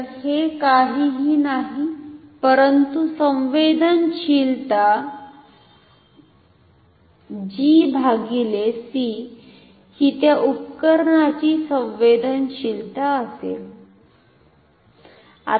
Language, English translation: Marathi, So, this is nothing, but the sensitivity G by c will be the sensitivity of the instrument